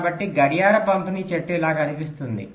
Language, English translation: Telugu, so clock distribution tree looks something like this